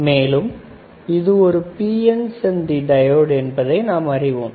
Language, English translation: Tamil, So, this is PN junction diode, right, we have seen right